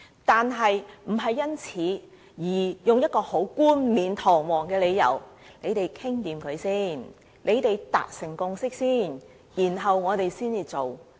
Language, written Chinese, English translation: Cantonese, 可是，這也並非是一個冠冕堂皇的理由，說大家商妥好、達成共識後，政府便會做。, But we must not allow this to become an excuse for the Government to say that after all sides have reached a consensus it will proceed